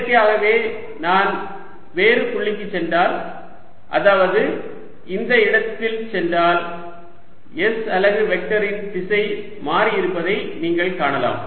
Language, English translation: Tamil, naturally, you see, if i go to a different point, which is say, here, you're going to see that s unit vector has changed direction